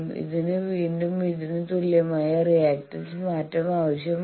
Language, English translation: Malayalam, So, this requires again a change of reactance that is equal to this